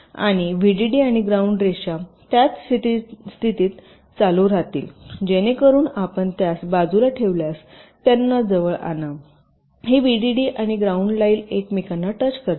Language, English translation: Marathi, in the vdd and ground lines will be running similarly in the exact same horizontal positions so that if you put them side by side, bring them closer together, this vdd and ground lines will touch each other